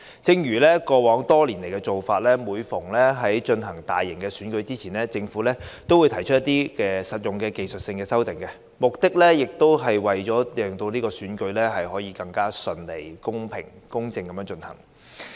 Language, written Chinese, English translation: Cantonese, 正如過去多年的做法，每逢舉行大型選舉前，政府都會提出一些實用的技術性修訂，目的是為了使選舉可以更順利、公平公正地進行。, This Bill is introduced according to the Governments past practice under which practical and technical amendments would be proposed to the electoral legislation before a major election so as to ensure that the election will be held smoothly and fairly